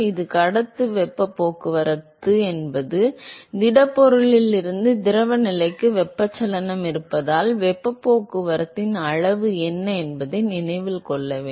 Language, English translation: Tamil, So, note that here, conductive heat transport means, what is the extent of transport of heat, because of the presence of convection from the solid to the fluid phase